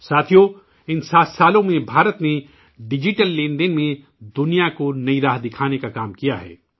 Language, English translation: Urdu, Friends, in these 7 years, India has worked to show the world a new direction in digital transactions